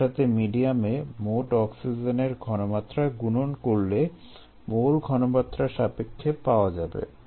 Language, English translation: Bengali, if we multiply by the total oxygen concentration and the medium, it becomes on a concentration basis, ah